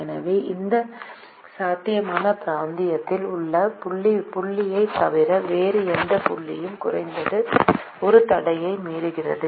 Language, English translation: Tamil, so any point other than that, the point which is in that feasible region, violates atleast one constraint